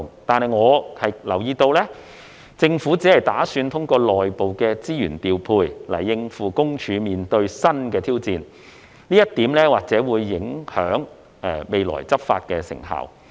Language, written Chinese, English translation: Cantonese, 但是，我留意到，政府只打算通過內部的資源調配來應付私隱公署面對的新挑戰，這一點或會影響未來執法的成效。, However I note that the Government intends to address the new challenges faced by PCPD only through internal redeployment of resources which may affect the effectiveness of future enforcement actions